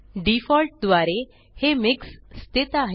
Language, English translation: Marathi, By default, it is set as MIX